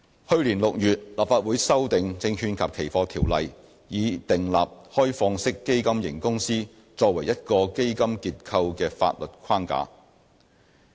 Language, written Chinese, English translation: Cantonese, 去年6月，立法會修訂《證券及期貨條例》，以訂立開放式基金型公司作為一個基金結構的法律框架。, In June last year the Legislative Council amended the Securities and Futures Ordinance to provide a legal framework for the OFC structure in Hong Kong